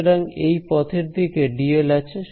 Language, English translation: Bengali, So, for this path what is dl along